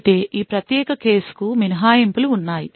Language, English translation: Telugu, However, there are exceptions to this particular case